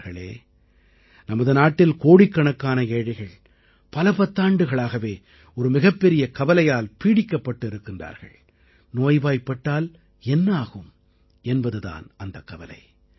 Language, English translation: Tamil, in our country, for decades, crores of impoverished citizens have been living their lives engulfed by the constant concern what will happen if they fall ill…